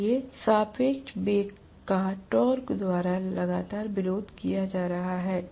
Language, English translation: Hindi, So the relative velocity is constantly being opposed by the torque